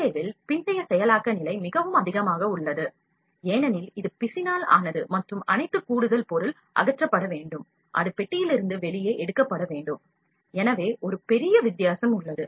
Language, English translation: Tamil, In SLA post processing level is quite higher, because it is made of resin and all the extra material that is there has to be removed and that has to be taken out from the box where it is made